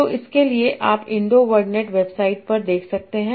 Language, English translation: Hindi, So for that you can look at Indo Wodernet website